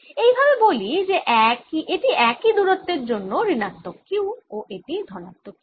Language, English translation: Bengali, so let's say this is minus q plus q for the same distance